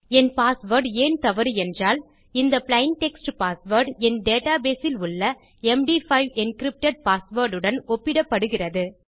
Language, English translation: Tamil, Now, the reason my password is wrong is that my plain text password here is being compared to my md5 encrypted password inside my data base